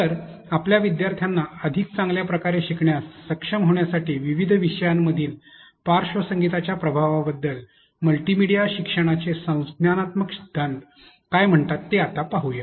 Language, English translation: Marathi, So, now let us see what cognitive theory of multimedia learning says about the effect of background music in different contents for your students to be able to learn better